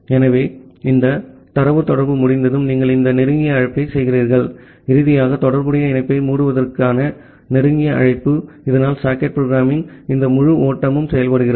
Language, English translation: Tamil, So, once this data communication is done, then you make this close call, finally the close call to close the corresponding connection, so that way this entire flow of socket programming works